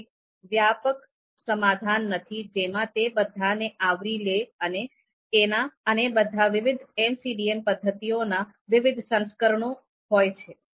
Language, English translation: Gujarati, There is not one comprehensive solution that covers all of them, are all different versions of different MCDA methods